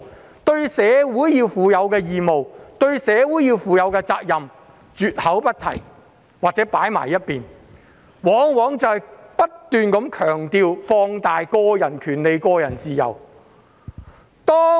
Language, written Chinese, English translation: Cantonese, 個人對社會應負的義務和責任，價值觀教育竟絕口不提，又或是擱置一旁，只強調並放大個人權利及自由。, In value education there was no mention of individuals obligations and responsibilities towards society or they have been put aside . Instead only individuals rights and freedom were emphasized and magnified